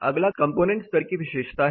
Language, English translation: Hindi, Next is the component level property